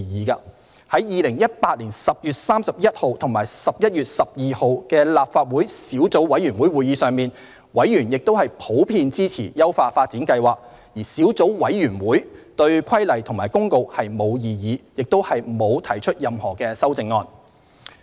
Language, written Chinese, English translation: Cantonese, 於2018年10月31日及11月12日的立法會小組委員會會議上，委員亦普遍支持優化發展計劃，小組委員會對《規例》及《公告》並無異議，亦不會提出任何修正案。, At the meetings of the Legislative Council Subcommittee on the Regulation and the Notice on 31 October and 12 November 2108 members also generally supported the upgrading plan . The Subcommittee had no objection to the Regulation and the Notice and would not propose any amendment